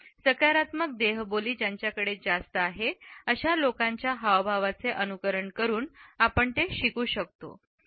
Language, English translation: Marathi, We can learn to emulate gestures of people who have more positive body language